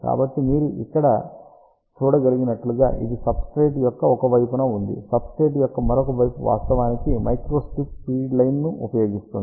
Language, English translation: Telugu, So, this is on one side of the substrate as you can see over here, other side of the substrate actually uses a microstrip feed line